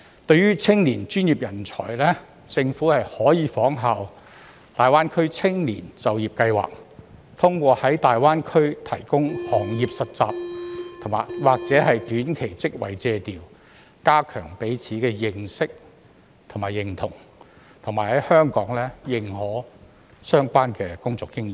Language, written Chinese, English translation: Cantonese, 對於青年專業人才，政府可效仿大灣區青年就業計劃，通過在大灣區提供行業實習或短期職位借調，加強彼此的認識及認同，並在香港認可相關工作經驗。, In the case of young professional talents the Government may follow the example of the Greater Bay Area Youth Employment Scheme and provide internship or short - term secondment opportunities in the Greater Bay Area as a means to enhance mutual understanding and their sense of recognition . And the relevant work experience should likewise be recognized in Hong Kong